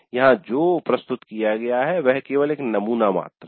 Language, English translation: Hindi, So what is presented here is just a sample framework only